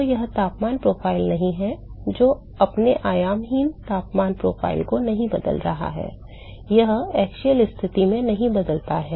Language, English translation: Hindi, So, it is not the temperature profile which is not changing its the dimensionless temperature profile, it does not change to the axial position